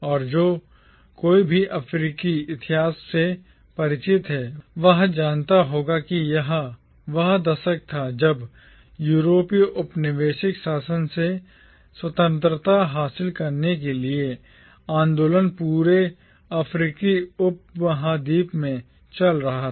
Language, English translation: Hindi, And anyone who is familiar with African history will know that this was the decade when agitations to gain independence from the European colonial rule was sweeping across the entire African subcontinent